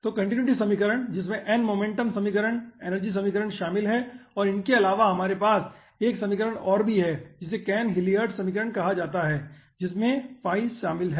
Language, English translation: Hindi, so continuity equation involving n, momentum equation, energy equation, and apart from that we are also having 1 equation called cahn hillard equation involving phi